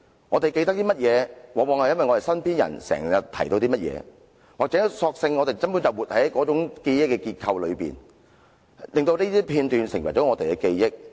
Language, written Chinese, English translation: Cantonese, 我們記得甚麼，往往是因為身邊人經常提及甚麼，或是我們根本就活在那種記憶的結構裏，令這些片段成為了我們的記憶。, Our memory of certain events is very often constituted by the frequent allusion to those events by people around us or the very fact that we are actually living in sort of a memory framework which turns individual episodes into part of our memory